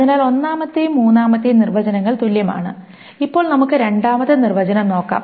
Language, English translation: Malayalam, So, that is the first and third definitions are equivalent, and let us see now the second definition, how is it equivalent to the other definition